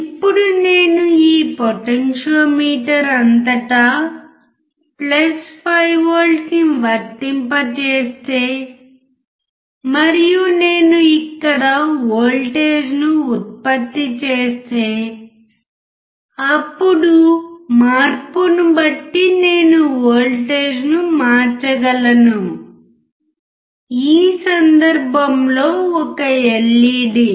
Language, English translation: Telugu, Now, if I apply +5V across this potentiometer and if I generate a voltage here then I can change the voltage depending on the change of the resistor